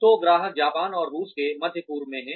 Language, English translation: Hindi, So, customers are in Japan and Russia and the Middle East